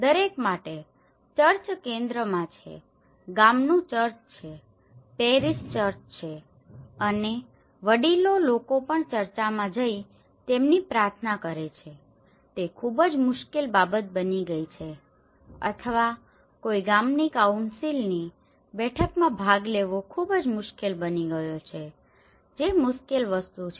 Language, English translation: Gujarati, For every, the church is in the centre, the village church, the parish church and even for the elder people to go and conduct their prayers in the church it has become a very difficult thing or to attend any village councils meeting it has become very difficult thing